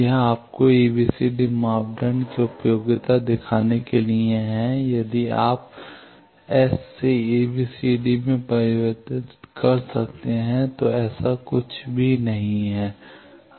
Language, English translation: Hindi, This is to show you the usefulness of the ABCD parameter if you can convert from S to ABCD nothing like that